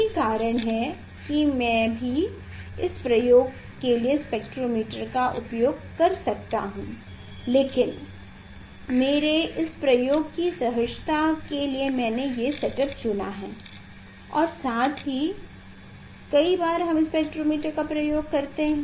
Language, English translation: Hindi, that is why I also we use also spectrometer for this experiment, but I have for the simplicity of this experiment of the set up I have chosen the setup as well as many times we have used spectrometer